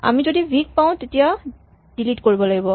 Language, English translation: Assamese, If we find v we must delete it